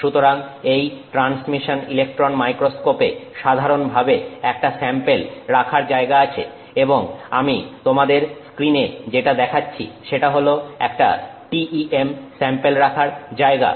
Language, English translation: Bengali, So, the transmission electron microscope usually will have a sample holder and what I'm showing you on screen is a, so this is a TEM sample holder